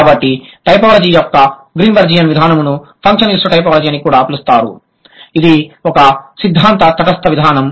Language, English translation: Telugu, So, Greenberg an approach of typology which is also known as functionalist typology is a theory neutral approach